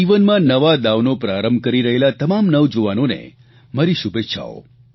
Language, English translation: Gujarati, My best wishes to all the young people about to begin a new innings